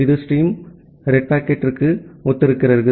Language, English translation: Tamil, And this is the stream corresponds to the red packet